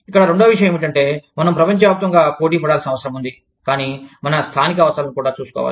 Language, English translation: Telugu, The second point here is, that we need to compete globally, but also take care of our local needs